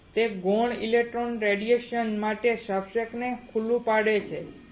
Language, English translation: Gujarati, That it exposes substrate to secondary electron radiation